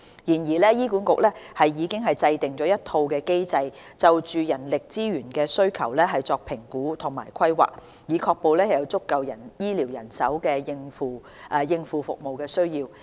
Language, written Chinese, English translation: Cantonese, 然而，醫管局已制訂一套機制，就人力資源的需求作評估和規劃，以確保有足夠的醫療人手應付服務需要。, Nevertheless HA has established a mechanism for manpower assessment and planning to ensure that there are sufficient medical staff to meet service demand